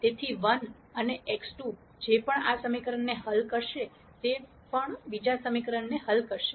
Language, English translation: Gujarati, So, whatever 1 and x 2 will solve this equation will also solve the second equation